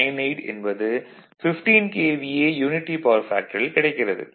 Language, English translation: Tamil, 98 at 15 KVA at unity power factor